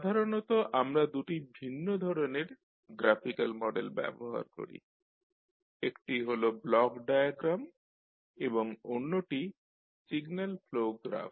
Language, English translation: Bengali, So, generally we use two different types of Graphical Models, one is Block diagram and another is signal pro graph